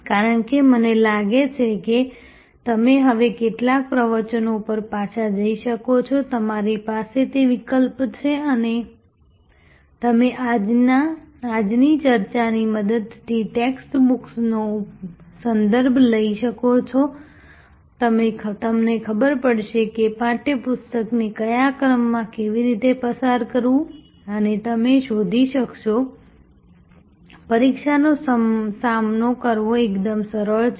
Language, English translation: Gujarati, Because I think you can now go back to some of the lectures, you have that option and you can refer to the text book with the help of today’s discussion, you will know that how to go through the book in what sequence and you will find the examination quite easy to tackle